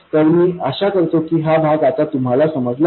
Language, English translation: Marathi, So I hope this part is clear